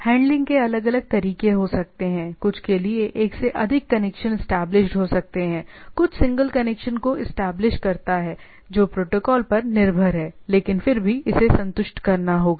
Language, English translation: Hindi, There can be different way of handling, some can have more than one connect connection to be established, some single connection to be established that is protocol dependent, but nevertheless this has to be satisfied